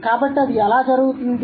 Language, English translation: Telugu, So, how does that happen